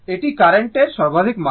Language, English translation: Bengali, This is the maximum value of the current